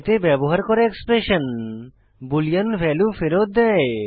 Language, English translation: Bengali, Expressions using relational operators return boolean values